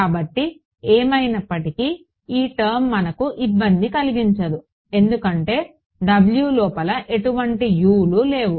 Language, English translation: Telugu, So, anyway this W f x term does not bother us, because W it does not contain any us inside it in anyway right